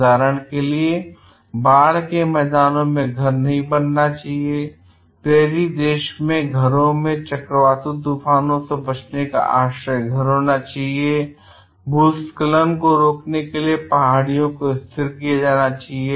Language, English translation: Hindi, For instance, home should not be built in floodplains, homes in prairie country should have tornado shelters, hillside should be stabilized to prevent landslides